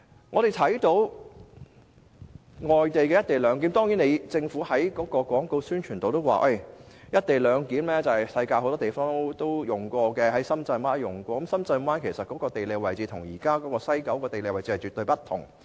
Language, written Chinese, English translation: Cantonese, 我們知道外地有進行"一地兩檢"，而政府在其廣告宣傳中，也提到"一地兩檢"在世界很多地方實施，包括深圳灣，但深圳灣的地理位置與西九現時的地理位置絕不相同。, We know that co - location arrangements are also adopted by foreign countries and it is also mentioned in the Governments publicity that many places around the world have put in place co - location arrangements including Shenzhen Bay . But the geographical location Shenzhen Bay is entirely different from that of the West Kowloon Station